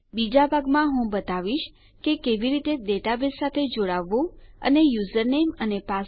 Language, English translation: Gujarati, In the next one I will show how to connect to our database and check for the user name and password